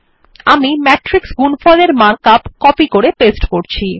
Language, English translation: Bengali, I am copying and pasting the mark up for the matrix product